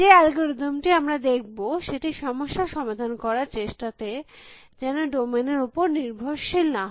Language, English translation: Bengali, The algorithm that we are going to look at should not depend upon the domain that we are trying to solve the problem in